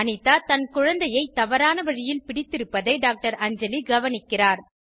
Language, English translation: Tamil, Anjali notices Anita is holding her baby in a wrong way